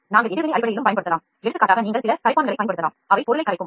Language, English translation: Tamil, So, it can also, you can also use reaction based, for example you can use some solvents which can dissolve the material